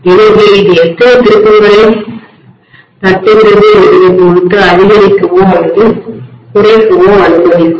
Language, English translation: Tamil, So this essentially will allow me to step up or step down depending upon how many turns I am tapping